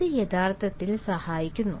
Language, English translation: Malayalam, this actually helps